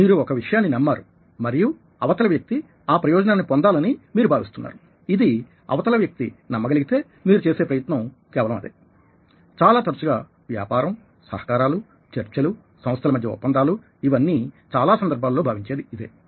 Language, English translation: Telugu, you believe in something and you feel that the other person will benefit from it when she believes in it, and that's just what you are trying to do, as very often, what business, ah, collaborations, negotiations, all are about, and in many contexts